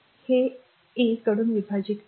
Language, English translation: Marathi, Divide this one by R 1